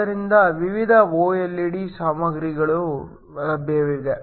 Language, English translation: Kannada, So, There are different OLED materials are available